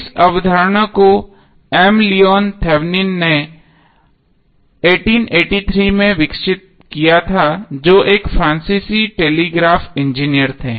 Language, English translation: Hindi, Leon Thevenin in 1883 who was a French telegraph engineer